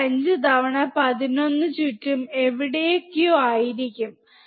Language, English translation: Malayalam, 5 times 11 would be somewhere around 5